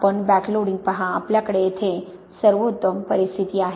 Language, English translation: Marathi, You see the backloading; we have the best situation here